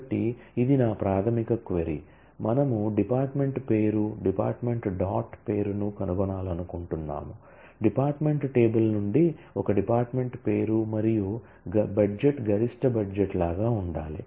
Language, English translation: Telugu, So, this is my basic query, we want to find department name, department dot name, that is; a departments name from the department table and the budget must be same as maximum budget